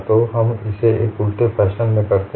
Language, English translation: Hindi, So, we do it in a reverse fashion